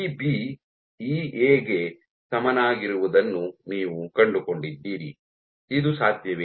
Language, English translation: Kannada, So, you found EB equal to EA, can this be possible